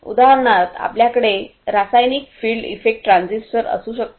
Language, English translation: Marathi, For example, So, we could have the chemical field effect transistors